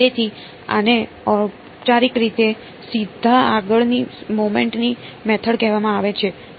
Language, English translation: Gujarati, So, this is formally called the method of moments straight forward